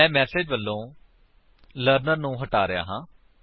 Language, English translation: Punjabi, Im removing the Learner from the message